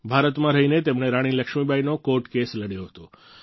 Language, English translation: Gujarati, Staying in India, he fought Rani Laxmibai's case